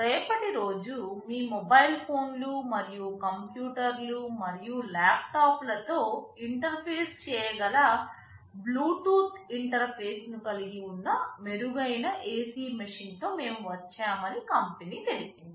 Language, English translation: Telugu, Tomorrow the company says that we have come up with a better AC machine that has a Bluetooth interface, which can interface with your mobile phones and computers and laptops